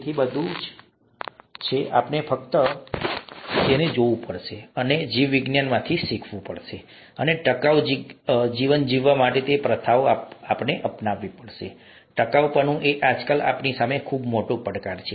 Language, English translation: Gujarati, So it's all, all there, we just have to look at it and learn from biology and adopt those practices to be able to lead a sustainable life, and sustainability is a very big challenge in front of us nowadays